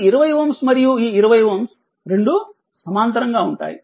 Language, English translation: Telugu, And this 20 ohm and this 20 ohm, both are in parallel right